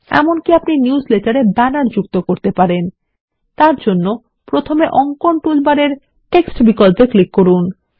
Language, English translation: Bengali, You can even add banners to the newsletter by first clicking on the Text option in the drawing toolbar